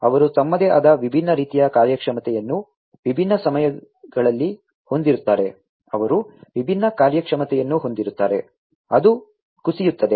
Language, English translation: Kannada, They will have their own different types of performance different times, they will have different performance; the performance are going to degrade etcetera